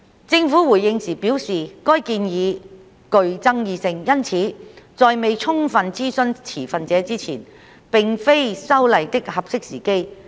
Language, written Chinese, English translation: Cantonese, 政府回應時表示，該建議具爭議性，因此在未充分諮詢持份者之前，並非修例的"合適時機"。, The Government responded that as the proposal was controversial it was not an opportune time to amend the Ordinance without full consultation of the stakeholders